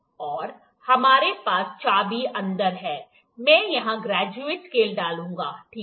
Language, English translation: Hindi, And we have the key inside, I will insert the graduated scale here, ok